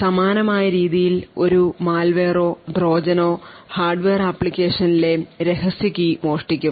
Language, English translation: Malayalam, In a similar way a malware or a Trojan present in the hardware could steal the secret key in the application